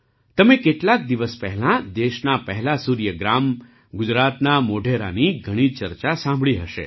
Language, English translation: Gujarati, A few days ago, you must have heard a lot about the country's first Solar Village Modhera of Gujarat